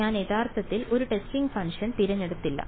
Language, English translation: Malayalam, I did not actually choose a testing function right